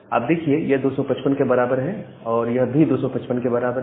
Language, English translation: Hindi, So, this is equal to 255, this is equal to 255